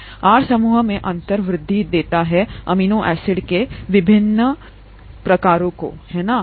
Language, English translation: Hindi, So differences in the R groups are what is, what gives rise to the differences in the various types of amino acids, right